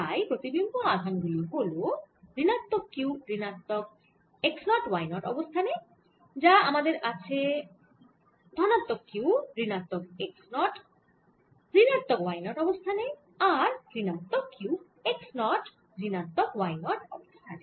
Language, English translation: Bengali, so the images charges are minus q at minus x naught, y naught and i have o, sorry, this is plus q, plus q at minus x naught, minus y naught, minus q at x naught, minus y naught and i have minus q at minus x naught, y naught